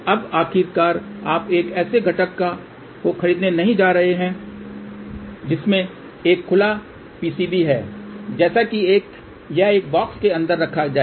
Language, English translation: Hindi, Now eventually you are not going to buy a component which has a open PCB like this, this has to be put inside a box